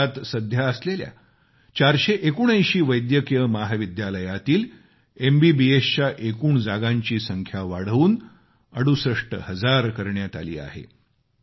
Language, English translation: Marathi, In the present 479 medical colleges, MBBS seats have been increased to about 68 thousand